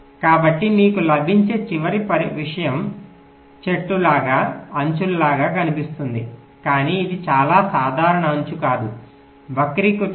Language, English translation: Telugu, so you see the final thing that you get looks like a tree, looks like an edge, but it is not a very regular edge, a skewed edge